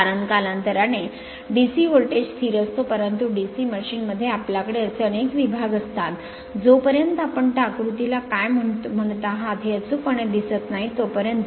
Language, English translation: Marathi, Because with because with time DC voltage is constant, but in a DC machine you have several segments you cannot unless and until you see in your exact your what you call that figure right